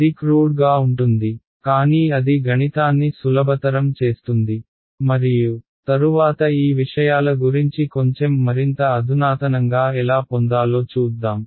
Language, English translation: Telugu, It is crude but what it does is it makes a math easy and later we will see how to get a little bit more sophisticated about these things